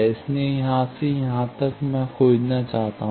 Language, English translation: Hindi, So, from here to here, I want to find